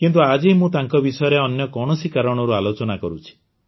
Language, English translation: Odia, But today I am discussing him for some other reason